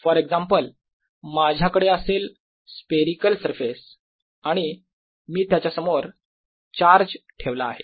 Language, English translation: Marathi, for example, i could have a spherical surface and put a charge in front of it